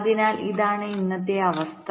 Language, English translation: Malayalam, so this is what the scenario is today